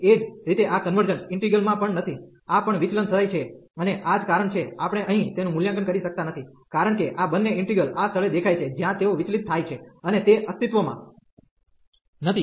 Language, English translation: Gujarati, Similarly, this is also not in convergent integral, this also diverges and that is the reason, we cannot evaluate this here, because both the integrals appearing at this place they diverges and they do not exist